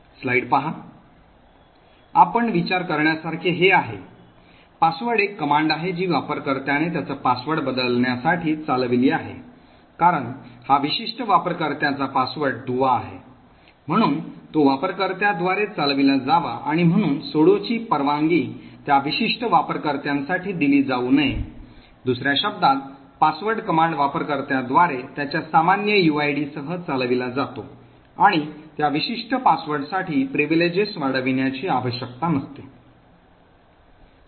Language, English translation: Marathi, So this is something for you to think about, password is a command that is run by a user to change his or her password, since this is a password link to a particular user, it should be run by a user and therefore the sudo permission should not be given for that particular user, in other words the password command is executed by a user with his normal uid and does not require to escalate privileges for that particular password